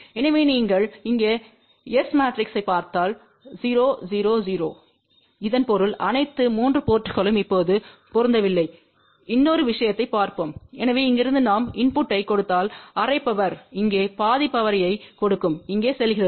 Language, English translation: Tamil, So, if you look at the S matrix here 0 0 0, so that means all the 3 ports are now matched ok and let us see another thing, so from here if I give the input half power goes here half power goes over here